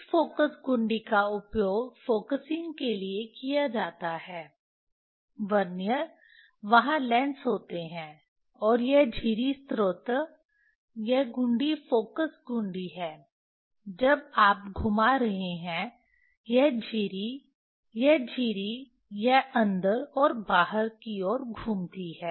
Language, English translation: Hindi, this focus knob is used for focusing means, Vernier there is the lenses are there, and this slit source is this knob focus knob when you are you are rotating, this slit, this slit it is a move in and out move in and out